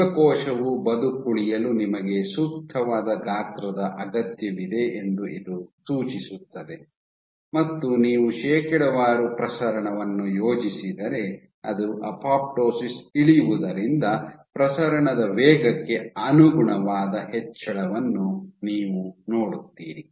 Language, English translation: Kannada, So, this suggested that you need an optimal amount of size for a cell to survive, and as they was a dropping apoptosis if you plot the percentage proliferation, you would see a corresponding increase in the proliferation rate ok